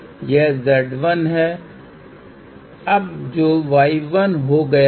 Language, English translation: Hindi, So, this is Z L, this will become y l